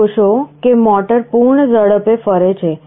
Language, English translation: Gujarati, You see motor is rotating in the full speed